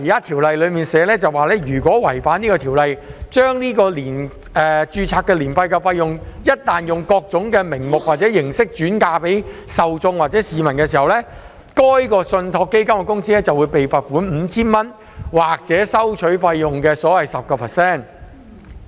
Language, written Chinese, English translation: Cantonese, 《條例草案》訂明，如果違反條例，將註冊年費用各種名目或形式轉嫁給受眾或市民，該信託基金公司便會被罰款 5,000 元或所收取費用的款額的 10%。, The Bill provides that if the Ordinance is violated and ARF is passed on to scheme members or the public in various names or forms the fund trustee will be fined 5,000 or 10 % of the amount of the fees charged